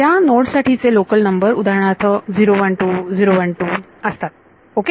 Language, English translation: Marathi, So, the local numbers of the nodes will be for example, 012 012 ok